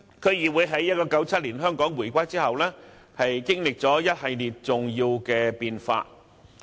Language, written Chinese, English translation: Cantonese, 區議會在1997年香港回歸後，經歷了一系列重要的變化。, After the reunification of Hong Kong in 1997 DCs have undergone a series of momentous changes